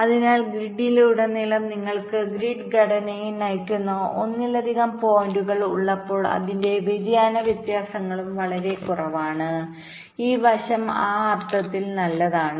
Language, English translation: Malayalam, so when you have multiple points driving the grid structure across the grid, the skew differences, it is also very less